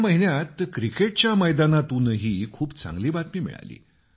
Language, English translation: Marathi, This month, there has been very good news from the cricket pitch too